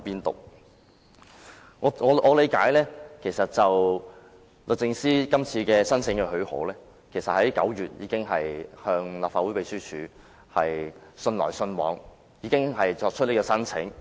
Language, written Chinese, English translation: Cantonese, 據我了解，就這次的特別許可申請，律政司早於9月已經與立法會秘書處有書信往來，並提出申請。, As far as my understanding goes DoJ exchanged correspondence on this special leave application with the Legislative Council Secretariat as early as September and put forth its application